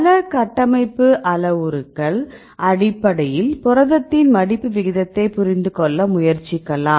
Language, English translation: Tamil, Likewise we related several structure based parameters try to understand the protein folding rates right